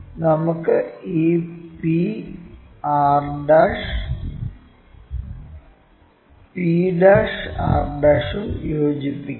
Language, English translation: Malayalam, Let us join this p and r' also, p' and r'